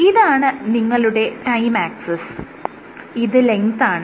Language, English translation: Malayalam, So, this is your time axis and this is your length